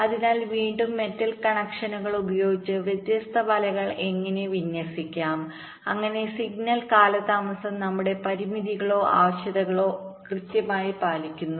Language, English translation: Malayalam, so again, so how to layout the different nets, using metal connections typically, so that the signal delays conform to our constraints or requirements